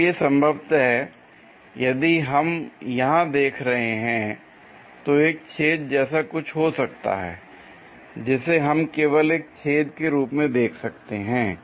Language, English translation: Hindi, So, possibly if we are looking there here, there might be something like a hole we might be going to see it just a hole